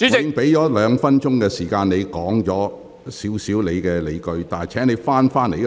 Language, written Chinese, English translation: Cantonese, 我已給你兩分鐘時間闡述你的理據，請你返回辯論議題。, I have given you two minutes to state your arguments . Please return to the subject of this debate